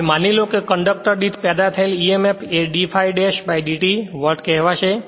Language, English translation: Gujarati, Now, suppose emf generated per conductor will be say d phi dash by dt volt right